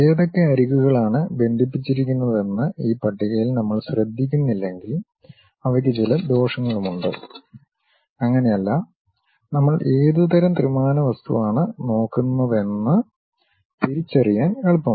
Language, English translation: Malayalam, They have certain disadvantages also, if we are not careful with this list which edges are connected with each other, it is not so, easy to identify what kind of 3D object we are looking at